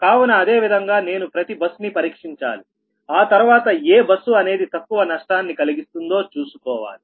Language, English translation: Telugu, so, similarly, each bus i have to test and i have to see which one is giving the minimum loss